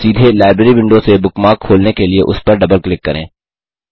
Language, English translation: Hindi, To open a bookmark directly from the Library window, simply double click on it